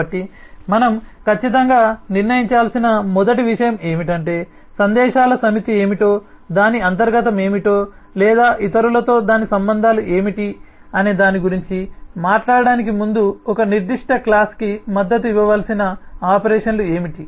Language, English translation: Telugu, so the first thing that certainly we need to decide is what could be the set of messages, what could be the operations that need to be supported for a certain class before we can talk about what is its internals or what is its relationships with others